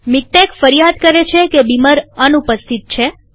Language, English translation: Gujarati, MikTeX complains that Beamer is missing